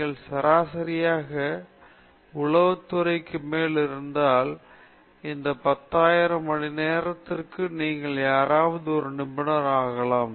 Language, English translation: Tamil, If you are having above average intelligence, then if you put in this 10,000 hours anybody can become an expert